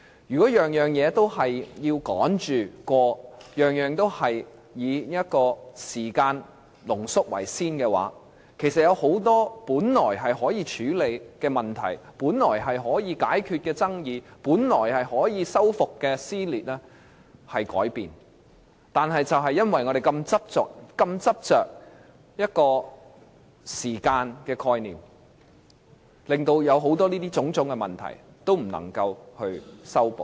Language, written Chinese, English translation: Cantonese, 如果每件事情都要趕着通過，每件事情都以濃縮時間為先，有很多本來可以處理的問題，本來可以解決的爭議，本來可以修復的撕裂，結果都會通通改變，原因是我們如此執着於一個時間的概念，便令很多問題都不能夠修補。, If we make it our priority to save time and rush to get everything passed we may fail to address many problems resolve many disputes and repair the dissensions as what we should have been able to . As a result of our insistence on the time concept many problems will never get resolved